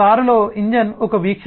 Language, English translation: Telugu, car contains engine is one view